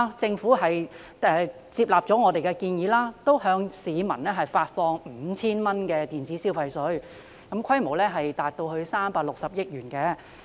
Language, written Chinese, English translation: Cantonese, 政府接納我們的建議，向市民發放 5,000 元電子消費券，規模達到360億元。, The Government accepted our proposal to release electronic consumption vouchers of 5,000 to the citizens with the scale reaching 36 billion